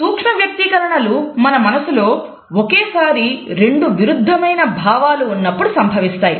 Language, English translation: Telugu, Micro expressions occur normally when there are two conflicting emotions going on in our heart simultaneously